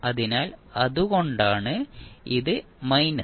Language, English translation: Malayalam, So, that is why it is minus